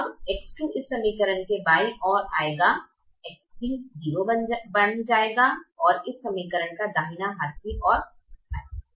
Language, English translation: Hindi, x two will come to the left hand side of this equation, x three will become zero and go to the right hand side of this equation